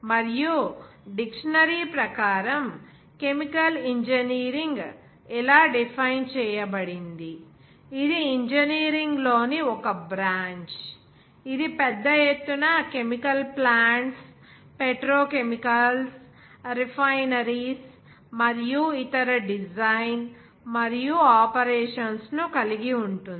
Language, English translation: Telugu, And as per Dictionary, chemical engineering is defined as; it is a branch of engineering which involves the design and operation of large scale chemical plants petrochemicals, refineries, and the like others